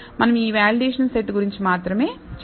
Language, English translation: Telugu, We will only worry about this validation set